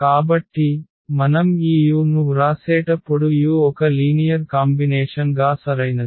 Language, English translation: Telugu, So, when we write down this u because u is a linear combination well correct